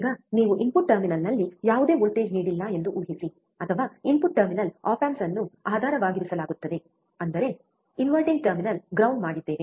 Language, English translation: Kannada, Now, assume that you have given no voltage at input terminal, or input terminal op amps are are grounded; that means, is inverting terminal is ground non inverting terminal is ground